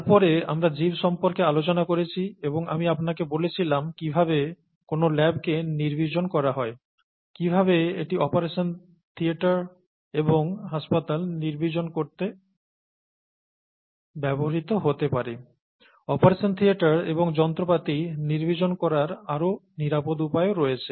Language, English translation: Bengali, And then we talked about organisms and so on so forth and I told you how a lab is sterilized, how that can also be used to sterilize operation theatres and hospitals, and there are other means, other more, other more safer means of sterilizing operation theatres and instruments